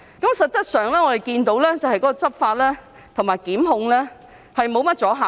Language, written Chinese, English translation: Cantonese, 事實上，我們看見執法和檢控沒甚麼阻嚇力。, As a matter of fact we saw law enforcement and prosecution lack deterrence